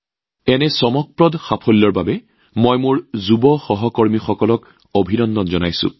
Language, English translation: Assamese, I congratulate my young colleagues for this wonderful achievement